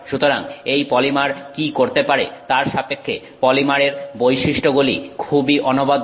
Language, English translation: Bengali, So, the property of this polymer is very unique in terms of what it can do